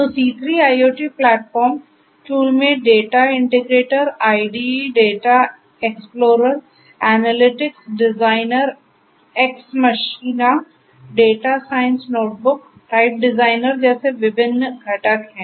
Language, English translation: Hindi, So, C3 IoT platform tools you know have different; different components such as the Data Integrator, IDE, Data Explorer, Analytics Designer, EX Machina, Data Science Notebook, Type Designer and so on